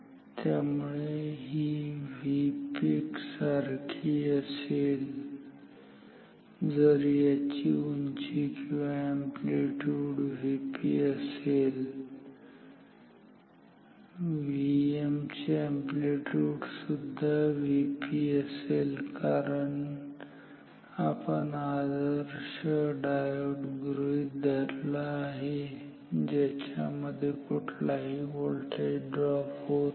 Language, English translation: Marathi, So, this will also be same as V peak if this has a height or an amplitude of V p, the V m will also have same amplitude V p because we are assuming the diodes to be ideal no voltage drop occurs across this diode